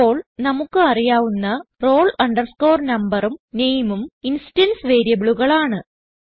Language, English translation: Malayalam, Then the only roll number and name we know are the instance variables